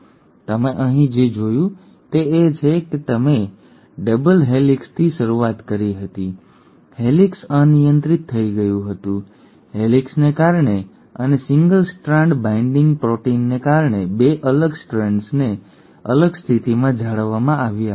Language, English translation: Gujarati, So what do you notice here is, you started with a double helix, the helix got uncoiled, thanks to the helicase and the 2 separated strands were maintained in a separate position because of the single strand binding proteins